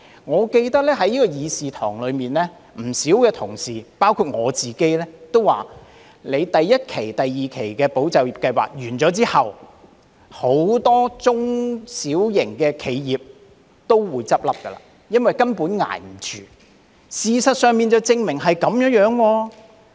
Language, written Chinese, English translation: Cantonese, 我記得在議事堂內，有不少同事包括我亦曾指出，當第一期及第二期"保就業"計劃結束後，將會有很多中小型企業倒閉，因為它們根本捱不下去，而事實也證明的確是這樣。, I remember that in this Chamber many colleagues including myself have pointed out that upon the completion of the first and second tranche of ESS many small and medium enterprises SMEs will close down for they can hardly survive and this has indeed proved to be the case now